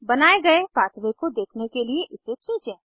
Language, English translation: Hindi, Drag to see the created pathway